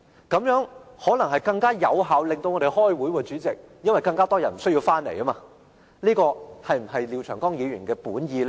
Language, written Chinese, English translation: Cantonese, 這樣可能會更有效令我們開會，代理主席，因為更多人不需要回來，這是否廖長江議員的本意？, Deputy President a further reduced quorum will make it easier to hold meetings as more Members will not be required to join . Is this the intention of Mr Martin LIAO?